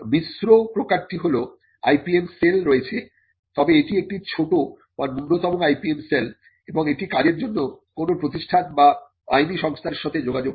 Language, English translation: Bengali, The mixed variety is the IPM cell is there, but it is a small or a nascent IPM cell and it interacts with a company or a law firm to get the work done